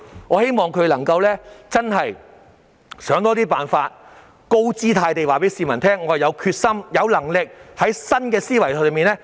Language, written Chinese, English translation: Cantonese, 我希望他們真的能夠多想一些辦法，高姿態地告訴市民，政府有決心、有能力以新思維解決問題。, I hope that they will come up with more ideas and tell members of the public in a high - profile manner that the Government is determined and able to think outside the box and solve the problem